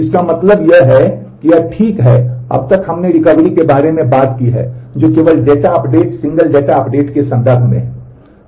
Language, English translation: Hindi, What this means is well, so far we have talked about recovery which is only in terms of data update, single data updates